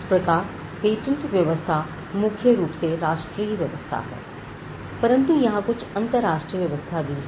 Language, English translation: Hindi, So, patent regimes are largely national regimes, but there are few international arrangements